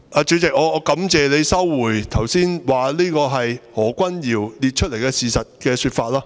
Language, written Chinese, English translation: Cantonese, 主席，我感謝你收回剛才所說這是何君堯議員列出來的事實的說法。, President I thank you for withdrawing your suggestion that these are facts set out by Dr Junius HO